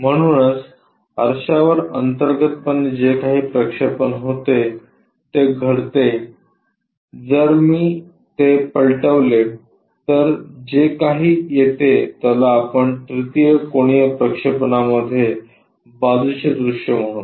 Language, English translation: Marathi, So, whatever the projection from internally on that mirror happens if I flip whatever it comes that we will call as the side view in third angle projection